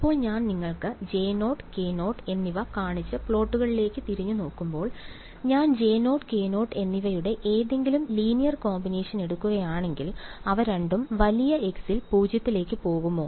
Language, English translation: Malayalam, Now, when I look back at the plots that I have shown you of J 0 and Y 0; if I take any linear combination of J 0 and Y 0, will both of them go to 0 at large x